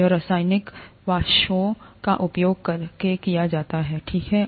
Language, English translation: Hindi, It is done by using chemical vapours, okay